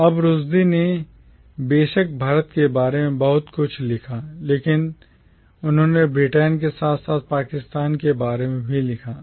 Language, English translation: Hindi, Now Rushdie of course has written a lot about India but he has also written about Britain, as well as about Pakistan